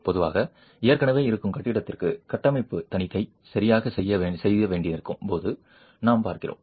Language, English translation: Tamil, Typically, we are looking at when an existing building requires a structural audit to be performed